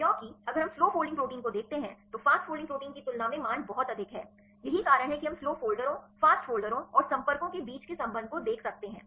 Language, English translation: Hindi, Because if we see the slow folding proteins the values are very high compared with the fast folding proteins right that is we can see the relationship between the slow folders, fast folders and the contacts right they can be have a picture regard related with all these parameters ok